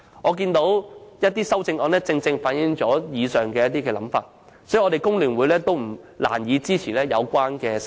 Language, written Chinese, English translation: Cantonese, 我們看到有些修正案正正反映了上述思維，因此我和工聯會實難以支持這些修正案。, In our opinion some of the amendments proposed have exactly reflected such a thinking and I together with FTU have therefore found it difficult to give our support to these amendments